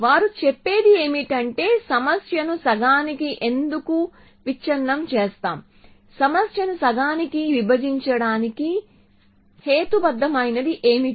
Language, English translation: Telugu, What they say is why do we breakup the problem into half what is the rational for breaking up the problem into half